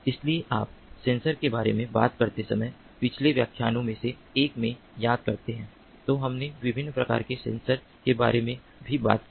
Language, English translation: Hindi, so, if you recall, in one of the previous lectures, when we talked about sensors, we also talked about the different types of sensors